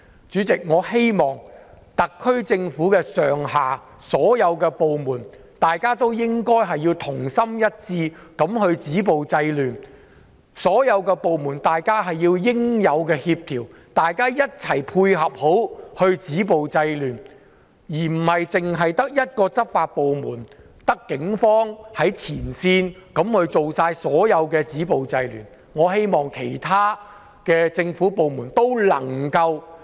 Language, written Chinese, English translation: Cantonese, 主席，我希望特區政府上下所有部門，同心一致地止暴制亂，所有部門應該互相協調，一起配合止暴制亂，而不是只靠執法部門，即警方在前線進行所有止暴制亂的行動，我希望其他政府部門能夠......, Chairman I hope that the entire SAR Government from top to bottom down will work concertedly to stop violence and curb disorder . All departments should work in coordination to stop violence and curb disorder . They should not rely only on the law enforcement department ie